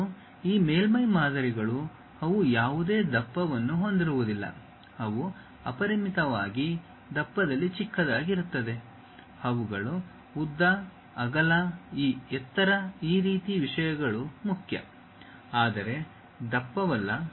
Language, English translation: Kannada, For and these surface models they do not have any thickness, they are infinitesimally small in thickness, their length, breadth, this height, this kind of things matters, but not the thickness